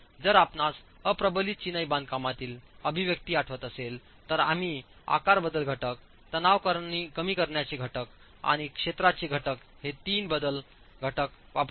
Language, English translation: Marathi, If you remember the expression for unreinforced masonry we used three modification factors, the shape modification factor, the stress reduction factor and the area factor